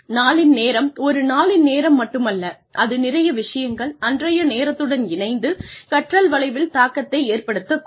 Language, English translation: Tamil, Time of day also has, and not only the time of the day, it is a lot of things, combined with the time of the day, that may have an impact, on the learning curve